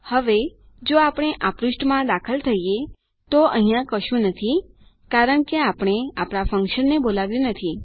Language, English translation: Gujarati, Now, if we enter this page, there is nothing, because we havent called our function